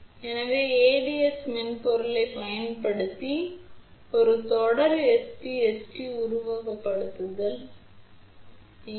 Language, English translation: Tamil, So, here is a Series SPST simulation using ADS software